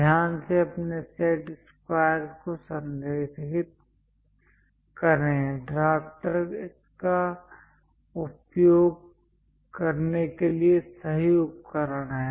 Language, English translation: Hindi, Carefully align your set squares; drafter is the right tool to use this